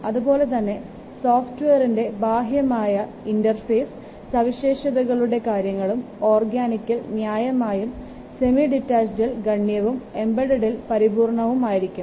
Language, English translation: Malayalam, Similarly, need for software conformance with external interface specifications in organics just it is basic but semi detachment is moderate or considerable and in embedded applications it is full